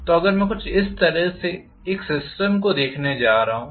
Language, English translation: Hindi, So if I am looking at a system somewhat like this